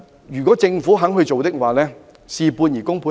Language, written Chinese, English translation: Cantonese, 如果政府肯親自處理，便會事半而功倍。, If the Government is willing to take things in their own hands there would be a multiplier effect